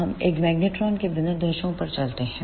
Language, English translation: Hindi, Now, let us move onto the specifications of a magnetron